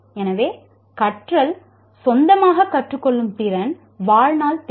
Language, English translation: Tamil, So learning is a ability to learn on your own is a lifetime requirement